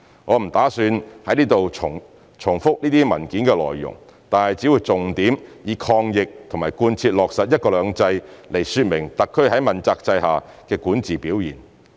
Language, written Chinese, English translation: Cantonese, 我不打算在此重複這些文件的內容，但只會重點以抗疫和貫徹落實"一國兩制"來說明特區在問責制下的管治表現。, I am not going to repeat the content of these papers I will only brief Members on the salient points of the performance of governance of the SAR Government in relation to the anti - epidemic efforts and the implementation and execution of one country two systems